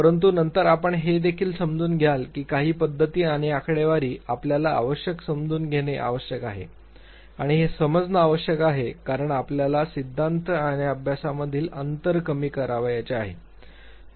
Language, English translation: Marathi, But then also you would realize that certain methods and statistics both become necessary evils you have to understand it and this understanding is essential because you want to bridge the gap between the theory and the practice